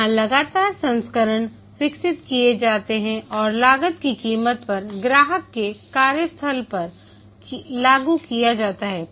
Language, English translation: Hindi, Here, successive versions are developed and deployed at the customer site